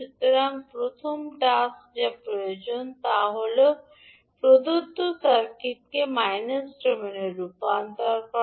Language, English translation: Bengali, So first task which is required is that convert the given circuit into s minus domain